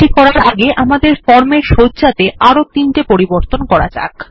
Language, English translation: Bengali, Before doing this, let us make just three more modifications to our form design